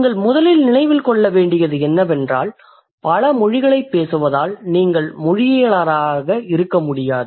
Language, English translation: Tamil, And the first thing that you need to remember just by speaking many languages, you cannot be a linguist